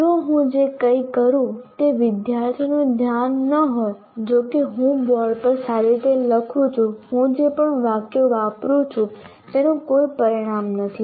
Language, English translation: Gujarati, If I don't have the attention of the student, whatever I do, however well I write on the board, whatever sentences that I use, there are no consequence if the student is not paying attention